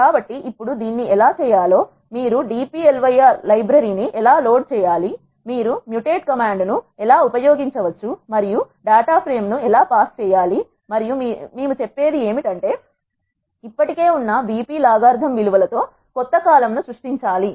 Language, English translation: Telugu, So now, how to do that is you have to load the library dplyr, you can use mutate command and you need to pass the data frame and you have to say, you have to create new column which is carrying the values of logarithm the existing column BP